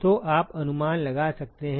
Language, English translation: Hindi, So, you could guess